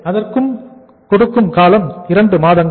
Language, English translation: Tamil, So that is for a period of 2 months